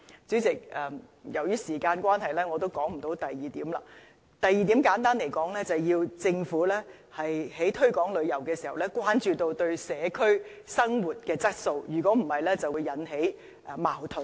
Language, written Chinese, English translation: Cantonese, 主席，由於時間關係，我簡略說第二點，就是政府在推廣旅遊的同時，要關注旅客對社區生活質素的影響，否則便會引起矛盾。, President given the time constraints I will briefly talk about the second point . In promoting tourism the Government should pay attention to the impact of tourists on the quality of life of the community; otherwise conflicts will arise